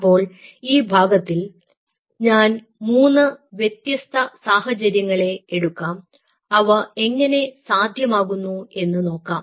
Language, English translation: Malayalam, so in this fragment i will take three situations: how this is being achieved